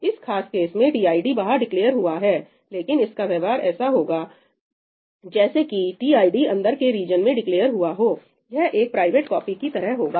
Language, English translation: Hindi, In this particular case, tid is declared outside, but its behavior would be the same as if tid was declared inside this region, itís like a private copy